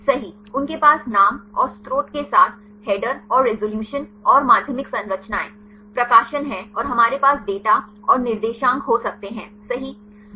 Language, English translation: Hindi, Right they have the header with the name and the source right and the resolution and the secondary structures, publications and we can have the data and the coordinates right